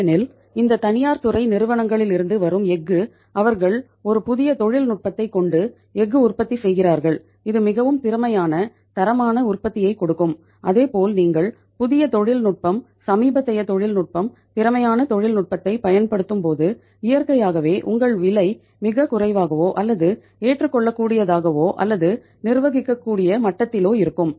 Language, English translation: Tamil, Because the steel which is coming from the this private sector companies they are manufacturing the steel by having a latest new technology which is very efficient giving the very efficient quality product as well as when you are using the new technology, latest technology, efficient technology naturally your price will also be very very uh low or at the acceptable or at the manageable level